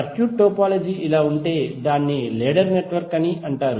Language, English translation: Telugu, If the circuit topology is like this it is called a ladder network